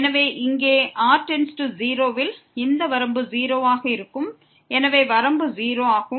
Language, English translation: Tamil, So, here when goes to 0 this limit will be 0 so limit is 0